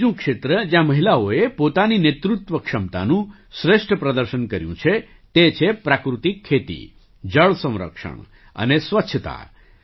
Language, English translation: Gujarati, Another area where women have demonstrated their leadership abilities is natural farming, water conservation and sanitation